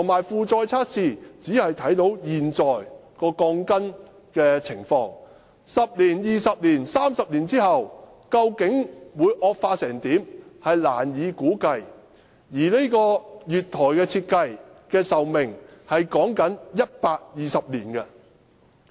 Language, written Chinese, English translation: Cantonese, 負載測試只能測試現在鋼筋的情況，難以估計10年、20年、30年後，鋼筋會惡化到甚麼地步，而月台設計的壽命是以120年計算的。, It cannot predict how the status of the steel bars will deteriorate in 10 20 or 30 years time and the platform is designed to support an useful life of 120 years